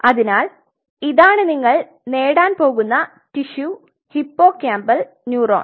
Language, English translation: Malayalam, So, this is what you are going to get, piece of tissue which is the hippocampal neuron